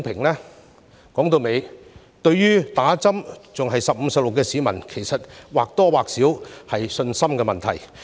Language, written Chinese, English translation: Cantonese, 說到底，市民對接種疫苗仍然猶豫，或多或少是信心問題。, After all the publics hesitation in getting vaccinated may be caused by a lack of confidence to a certain extent